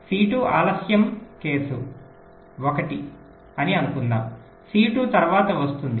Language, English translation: Telugu, suppose c two is delayed, case one, c two comes after